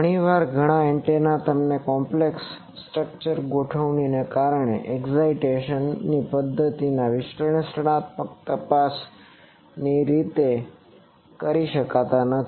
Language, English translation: Gujarati, Often many antennas because of their complex structural configuration and the excitation methods cannot be investigated analytically